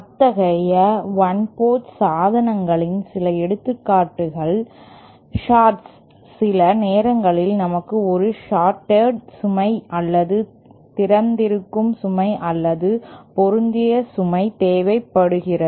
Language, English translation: Tamil, Some examples of such one port devices are shorts sometimes we need a shorted load or open load or a matched load